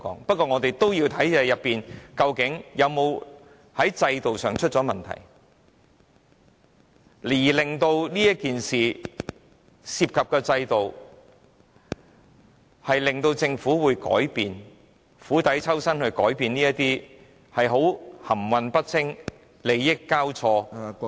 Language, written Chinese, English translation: Cantonese, 不過我們也要看看制度是否出了問題，令政府改變這件事情所涉及的制度，釜底抽薪，改變這種含混不清、利益交錯......, Still we need to check if there is a problem with the system so as to make the Government change the system underlying this incident with a view to taking away the fuel from the fire and changing such an obscure situation where different interests intertwine